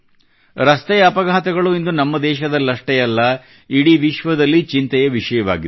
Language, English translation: Kannada, Road accidents are a matter of concern not just in our country but also the world over